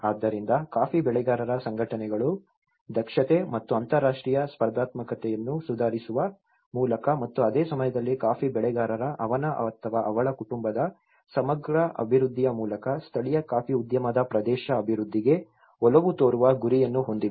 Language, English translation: Kannada, So, this is where the coffee growers organizations, they actually aim to favour the development of the local coffee industry through the improvement of efficiency of and international competitiveness and procuring at the same time the integral development of the coffee grower his/her family and the region